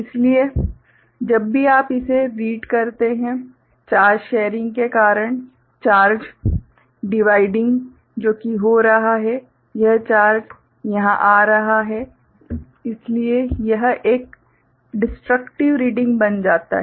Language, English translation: Hindi, So, whenever you read it, because of the charge sharing, charge dividing that is happening this charge coming over here; so, it becomes a destructive reading